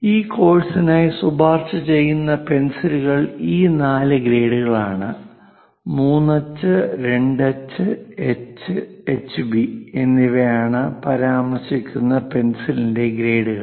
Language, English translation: Malayalam, The recommended pencils for this course are these four grades ; grade of the pencil where 3H, 2H, H, and HB are mentioned